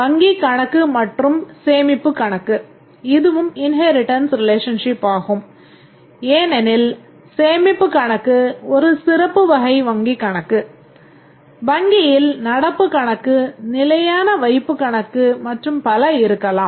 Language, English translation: Tamil, Account and savings account, this is also an inheritance relationship because a savings account is a special type of account, we might have current account, fixed deposit account and so on